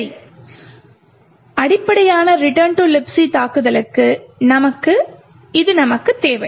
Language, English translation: Tamil, Okay, so this is all that we need for a very basic return to libc attack